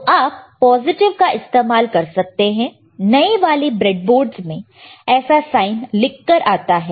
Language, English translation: Hindi, So, you can use either positive see near newer board breadboard comes with this sign